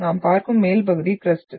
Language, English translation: Tamil, And the top part what we see is the crust